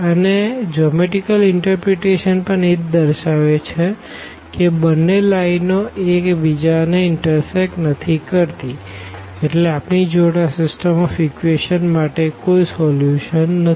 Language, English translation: Gujarati, And, the geometrical interpretation also says the same that these two lines they do not intersect and hence, we cannot have a solution for this given system of equations